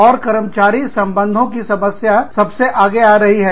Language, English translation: Hindi, And, the employee relations issues, are coming to the fore front